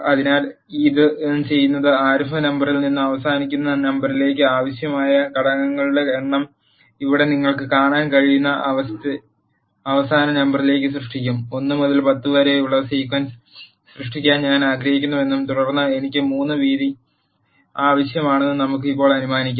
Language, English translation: Malayalam, So, what it does is it will create number of elements that are required from the starting number to the ending number you can see the examples here, let us now assume that I want to create a sequence from 1 to 10 and then I want the width of 3